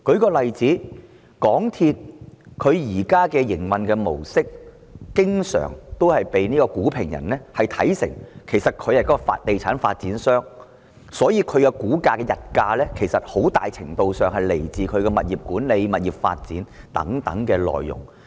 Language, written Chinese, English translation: Cantonese, 舉例來說，鑒於港鐵公司現時的營運模式，因此經常被股評人看成是地產發展商，所以港鐵公司的股價的溢價其實很大程度是來自其物業管理、物業發展等內容。, For instance given its modus operandi MTRCL is often considered as a real estate developer by stock analysts and so the share premium of MTRCL actually comes from its property management and property development businesses to a very large extent